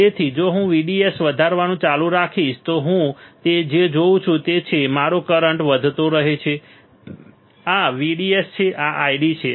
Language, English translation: Gujarati, So, if I keep on increasing VDS what I will see is that, my current keeps on increasing this is VDS this is I D